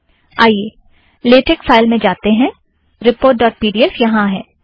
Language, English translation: Hindi, Lets go to latex file, so report dot pdf is there